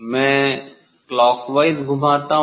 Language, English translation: Hindi, I rotate clockwise